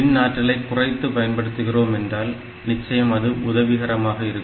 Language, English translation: Tamil, So, energy consumption, if we can minimize, then definitely it is helpful